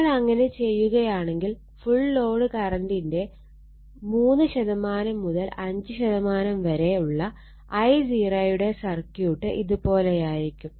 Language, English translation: Malayalam, If we do so then this circuit that your I 0 is 3 to 5 percent of the full load current where circuits looks like this